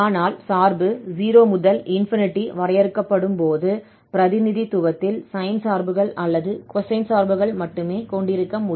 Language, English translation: Tamil, But when the function is defined in 0 to 8, we have the possibility to have either only sine functions in the representation or only cosine function in the representation